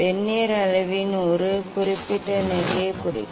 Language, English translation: Tamil, with reference to a particular position of the Vernier scale